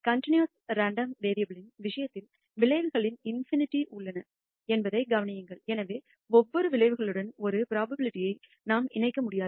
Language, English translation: Tamil, Notice, in the case of a continuous random variable, there are infinity of outcomes and therefore, we cannot associate a probability with every outcome